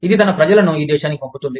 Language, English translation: Telugu, It sends its people, to this country